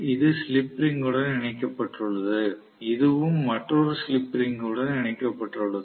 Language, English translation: Tamil, So this is connected to slip ring, this is also connected to another slip ring